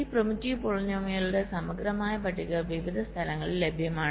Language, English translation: Malayalam, there are comprehensive lists of this primitive polynomials available in various places